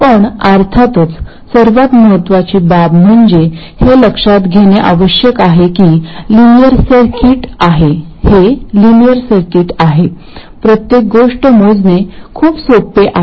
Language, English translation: Marathi, But of course the important thing is to note that this is a linear circuit, everything is very easy to calculate